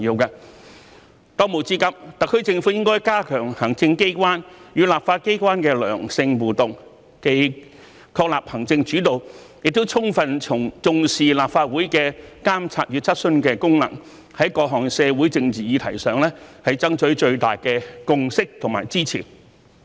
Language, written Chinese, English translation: Cantonese, 當務之急，特區政府應加強行政機關與立法機關的良性互動，既確立行政主導，亦充分重視立法會的監察與質詢的功能，在各項社會政治議題上，爭取最大的共識和支持。, For the top priority the SAR Government should step up constructive interaction between the executive authorities and the legislature . Apart from establishing an executive - led system it should also attach full importance to the monitoring and questioning function of the Legislative Council and should strive for the greatest consensus and support on various social and political issues